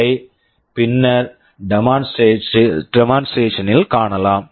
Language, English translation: Tamil, This we shall be seeing in the demonstration later